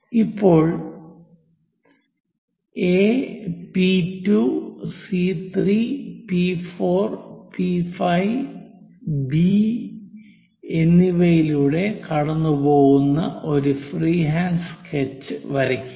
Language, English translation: Malayalam, Now, draw a freehand sketch which is passing through A P 2 C 3 P 4 P 5 and B